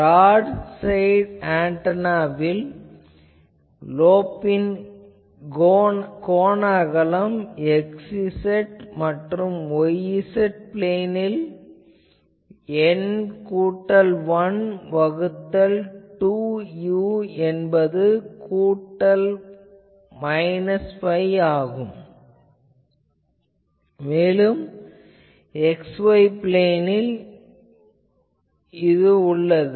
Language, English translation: Tamil, In the in the case of a broad side array, the angular width of the lobe in the x y and y z planes is obtained by setting N plus 1 by 2 u is equal to plus minus pi, and so this is in the x y plane